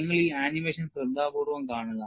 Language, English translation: Malayalam, You just watch this animation carefully